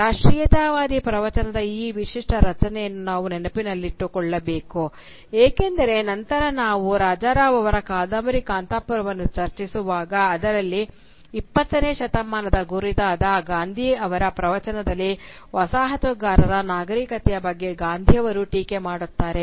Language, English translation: Kannada, We should remember this unique composition of the nationalist discourse, because later, when we will study the Gandhian discourse of the 20th century when we are doing Raja Rao’s Kanthapura, we will see it that this early respect for the coloniser civilisation becomes one of the main targets of Gandhi’s attack